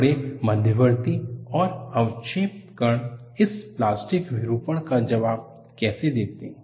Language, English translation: Hindi, How do the large intermediate and precipitate particles respond to this plastic deformation